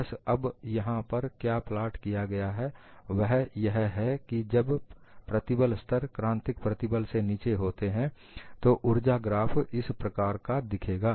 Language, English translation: Hindi, So, what is plotted here is, when the stress levels are below the critical stress, the energy graph would look like this